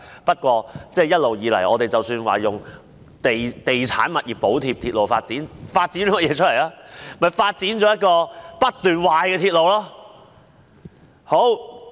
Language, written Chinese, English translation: Cantonese, 不過，一直以來，我們以地產物業補貼鐵路發展，但究竟發展了甚麼？, Nevertheless we have been subsidizing railway development with real estate properties but what actually has been developed?